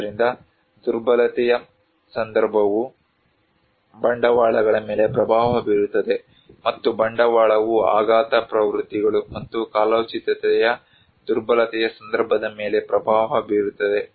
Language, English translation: Kannada, And so vulnerability context actually influencing the capitals, and capital then also influencing the vulnerability context which are shock, trends and seasonality